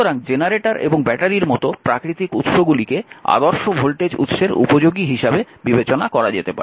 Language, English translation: Bengali, So, physical sources such as generators and batteries may be regarded as appropriations to ideal voltage sources